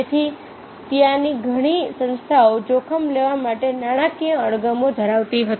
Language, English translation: Gujarati, so therefore, many of the organizations there were financial aversion to risk taking